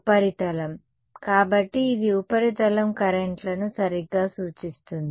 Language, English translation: Telugu, surface right; so, this implies surface currents right